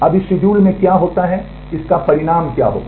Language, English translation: Hindi, Now what happens in this schedule what will be the consequence